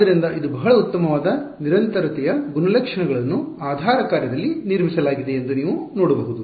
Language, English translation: Kannada, So, you can see that its a very nice continuity property is built into the basis function